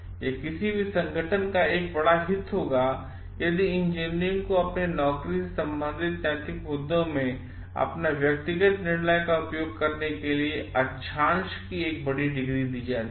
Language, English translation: Hindi, It will be a great interest of any organisation if engineers are given a great degree of latitude in exercising their personal judgement in moral issues relevant to their job